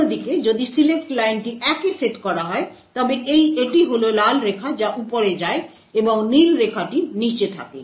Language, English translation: Bengali, On the other hand, if the select line is set to 1 then it is the red line which goes on top and the blue line which is at the bottom